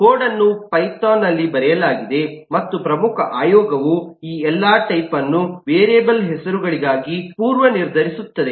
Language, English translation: Kannada, Its only that the code is written in python and the important commission is all these preceding predefined types for the variable names